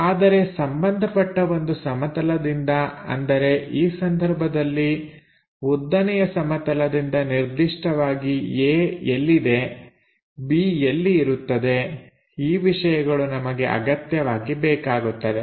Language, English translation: Kannada, But with respect to a reference plane in this case maybe the vertical plane where exactly A goes, where exactly B goes; this kind of things we require